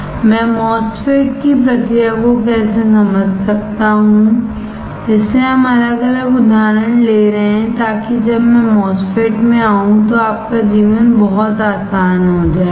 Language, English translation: Hindi, How can I understand process of MOSFET that is why we are taking different examples so that when I come to the MOSFET your life would be very easy will be extremely easy